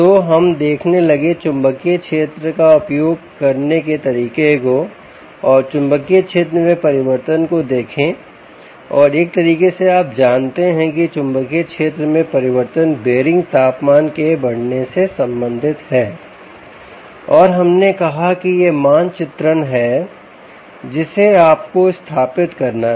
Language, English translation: Hindi, so we started to look at how to use the magnetic field and look at change in magnetic field and kind sort of you know, correlate the change in magnetic field to the rise in temperature of the bearing